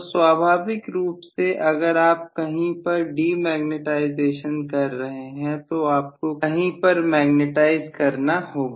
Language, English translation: Hindi, So naturally if you have demagnetizing somewhere you will have magnetizing somewhere and vice versa